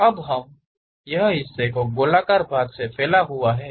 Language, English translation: Hindi, Now, this part is protruded part from that circular one